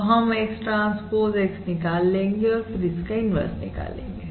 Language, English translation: Hindi, First we will compute x, transpose x and then compute the inverse, naturally